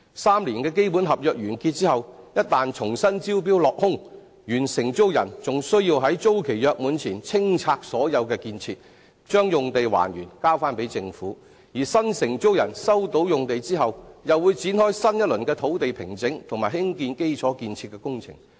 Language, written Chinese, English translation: Cantonese, 三年的基本合約完結後，一旦重新招標落空，原承租人還需在租期約滿前清拆所有建設，將用地還原交還給政府；而新承租人收到用地後，便會展開新一輪的土地平整及興建基礎建設的工程。, As the expiry of the three - year tenancy approaches and if the existing tenant loses the tender he must clear all the structures before the end of the tenancy and then surrender the land in its original shape to the Government . Then after the new tenant has taken over the land he must start a new round of land formation and infrastructure construction . We must realize that the operator himself will not absorb the costs incurred